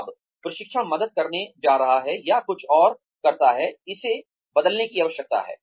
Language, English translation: Hindi, Now, is training, going to help, or does something else, need to be changed